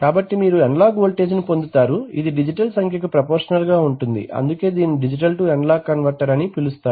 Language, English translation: Telugu, So you will get a analog voltage which is going to be proportional to the digital number that is why it is called a digital to analog converter so in our